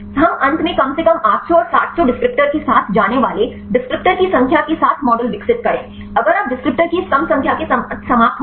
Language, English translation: Hindi, We should finally develop the model with less number of descriptors go with the 800 and 700 descriptors finally, if you ended up with this less number of descriptor